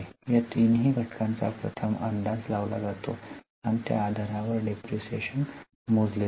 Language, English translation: Marathi, So, these three factors are first estimated and based on that the depreciation is calculated